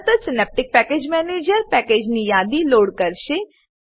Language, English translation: Gujarati, Immediately, Synaptic Package Manager will load the package list